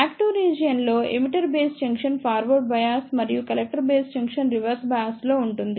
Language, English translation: Telugu, In Active Region, emitter base junction is forward bias and the collector base junction is reverse bias